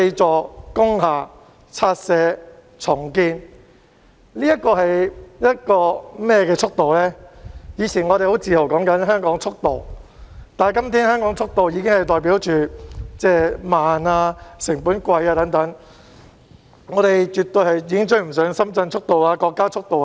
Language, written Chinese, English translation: Cantonese, 我們以往提及香港的速度時往往很自豪，但今天香港的速度已經代表慢、成本貴等，香港已經絕對追不上深圳、國家等的速度。, In the past we used to take pride in the speed of Hong Kong . But today Hong Kong is synonymous with slow and high cost and is definitely lagging behind the pace of Shenzhen and our country